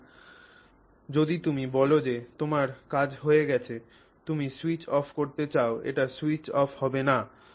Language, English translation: Bengali, So, if you say your job is done you want to switch it off, it will not switch off